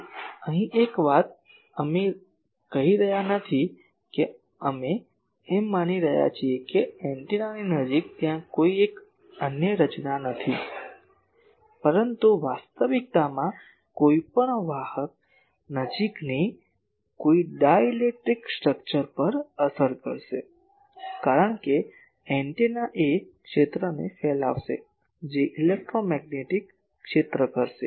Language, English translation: Gujarati, Then here one thing we are not saying that, we are assuming that near the antenna, there is no other structure, but in reality any conductor any structure even a dielectric structure nearby that will affect, because antenna is radiating a field that electromagnetic field will go there